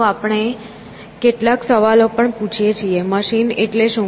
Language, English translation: Gujarati, So, we also ask some question as to, what is a machine